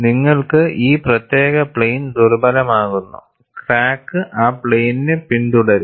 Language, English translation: Malayalam, And you make this particular plane weak, the crack will follow that plane